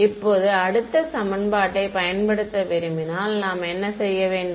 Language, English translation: Tamil, Now, if I wanted to use the next equation what should I do